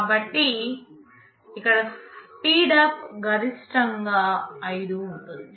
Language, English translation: Telugu, So, here the speedup can be maximum 5